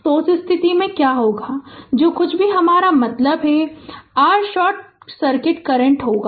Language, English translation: Hindi, So, in that case that what will be your ah this thing whatever ah I mean whatever what will be your short circuit current right